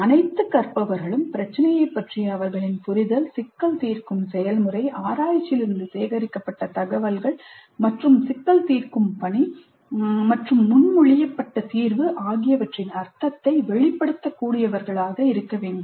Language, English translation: Tamil, All learners must be able to articulate their understanding of the problem, the problem solving process, the information gathered from research and its relevance to the task of problem solving and the proposed solution